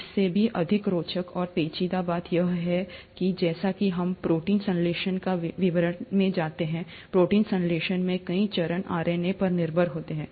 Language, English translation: Hindi, What is even more interesting and intriguing is to note that as we go into the details of protein synthesis, multiple steps in protein synthesis are dependent on RNA